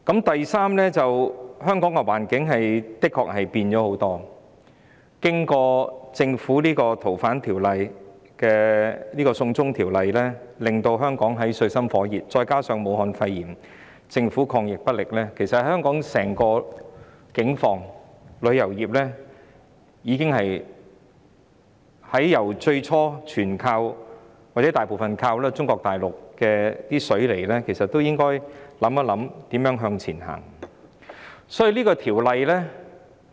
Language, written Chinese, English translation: Cantonese, 第三，香港的環境確實經歷很大轉變；經過政府為修訂《逃犯條例》而提出"送中條例草案"後，香港陷入水深火熱之中，加上政府對抗"武漢肺炎"疫情不力，其實在香港如此整體境況下，旅遊業由最初全部或大部分依靠中國大陸"放水"來港，到現時應思考如何向前邁進。, Thirdly the situation in Hong Kong has indeed undergone a major change . After the Government introduced the extradition bill to amend the Fugitive Offenders Ordinance Hong Kong fell into dire straits compounded by the Governments lack of commitment in fighting the epidemic of Wuhan pneumonia . In fact under these overall circumstances in Hong Kong the tourism industry should now ponder the way forward instead of relying wholly or partially on Mainland China to pump money into Hong Kong like before